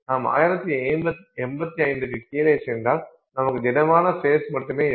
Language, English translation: Tamil, If you go below 1085 then you only have solid face